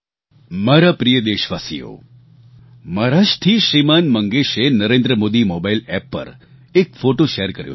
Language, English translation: Gujarati, My dear countrymen, Shri Mangesh from Maharashtra has shared a photo on the Narendra Modi Mobile App